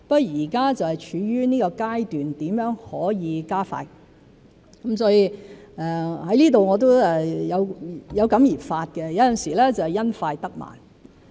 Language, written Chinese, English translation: Cantonese, 現在是處於一個如何可以加快的階段，我在此亦有感而發——有時會因快得慢。, We are now at a stage where it is possible to speed up the pace and here I wish to express my feeling that sometimes doing things the quick way will only lead to the otherwise